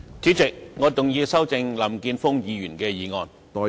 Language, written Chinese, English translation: Cantonese, 主席，我動議修正林健鋒議員的議案。, I move that Mr Jeffrey LAMs motion be amended